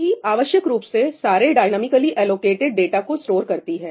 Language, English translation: Hindi, Heap essentially stores all the dynamically allocated data